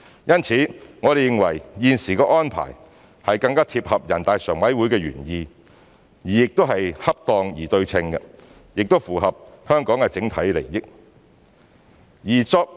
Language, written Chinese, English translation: Cantonese, 因此，我們認為現時的安排是更貼合人大常委會的原意，是恰當而對稱，亦符合香港的整體利益。, Therefore we believe the current arrangement is more consistent with the original intention of NPCSC appropriate and proportionate as well as more compatible with the overall interests of Hong Kong